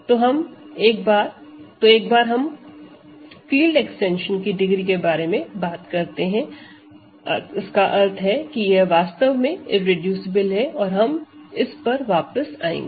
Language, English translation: Hindi, So, once we talk about degree of field extensions and so on, it will follow that this is actually irreducible and we will come back to this, so this is to be done later